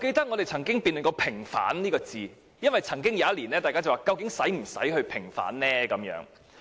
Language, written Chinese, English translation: Cantonese, 我們也曾辯論過"平反"這兩個字，因為有議員曾經質疑是否仍有平反六四的需要。, We had also debated the word vindication because some Members doubted if vindication of the 4 June incident was necessary